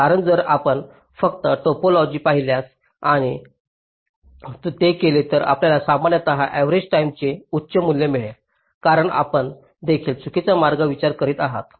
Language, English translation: Marathi, and z, because if you just look at the topology and just do it, you will be typically getting a higher value for the arrival times because you are also considering the false paths